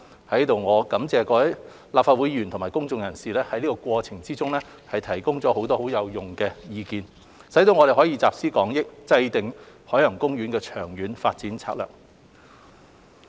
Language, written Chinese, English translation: Cantonese, 我在此感謝各位立法會議員和公眾人士在過程中提供了不少有用的意見，使我們能集思廣益，制訂海洋公園的長遠發展策略。, I thank Members of the Legislative Council and the public for providing useful opinions during the process enabling us to take into account extensive views for drawing up a long - term development strategy for OP